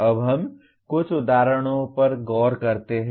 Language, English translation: Hindi, Now let us look at some examples